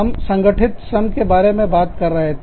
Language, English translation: Hindi, We were talking about, Organized Labor